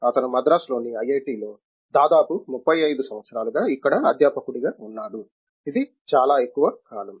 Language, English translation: Telugu, He was a faculty here at IIT, Madras for almost 35 years, which is a very long time